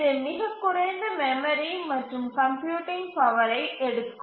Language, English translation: Tamil, Takes very little memory and computing power